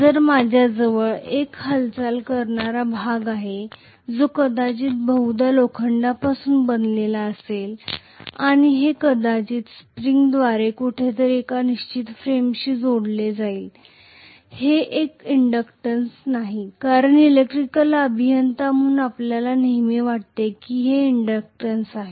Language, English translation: Marathi, So I am going to have a moving part which is also probably made up of iron and it is probably going to be connected to a fixed frame somewhere through a spring, this is not an inductance because as an electrical engineer we always think it is an inductance